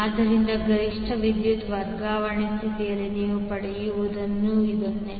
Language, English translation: Kannada, So, this is what you get under the maximum power transfer condition